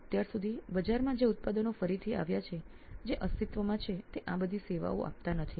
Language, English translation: Gujarati, So till now the products that are again that are existing in the market they do not serve all these things